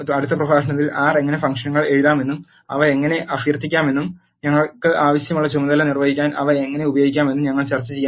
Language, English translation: Malayalam, In the next lecture we are going to discuss about how to write functions in R, and how to invoke them, how to use them to perform the task we wanted